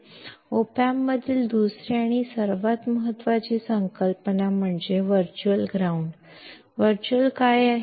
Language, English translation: Marathi, Second and the most important concept in op amp is the virtual ground; what is virtual